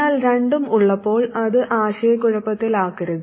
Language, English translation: Malayalam, But when you have both, don't get confused better